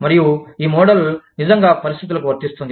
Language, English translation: Telugu, And, this model, really applies to situations, like those